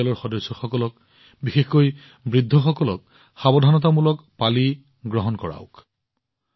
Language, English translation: Assamese, Make your family members, especially the elderly, take a precautionary dose